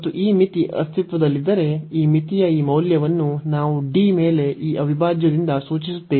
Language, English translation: Kannada, And if this limit exist, then we denote this integral this value of this limit by this integral over D, so the double integral D